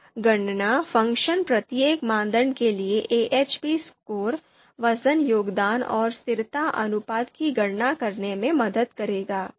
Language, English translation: Hindi, So the calculate function it will you know calculate AHP score, weight contribution and consistency ratio for each criterion